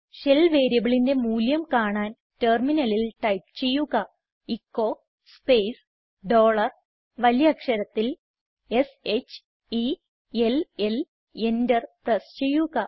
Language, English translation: Malayalam, To see what is the value of the SHELL variable, type at the terminal echo space dollar S H E L L in capital and press enter